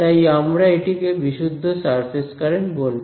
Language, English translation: Bengali, So, I will call this the pure surface current all right